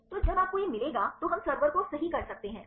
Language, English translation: Hindi, So, when if you get this then we can make a server right